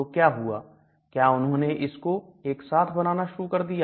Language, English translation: Hindi, So what happened was they started introducing combination